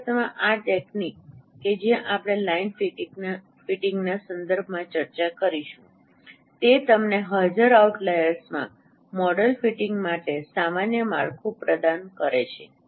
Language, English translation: Gujarati, In fact this technique though we will be discussing with respect to line fitting it provides you a general framework for model fitting in the presence of out layers